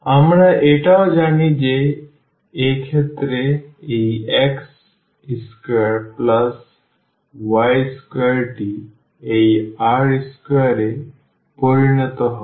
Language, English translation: Bengali, We also know that this x square plus y square in this case will become this r square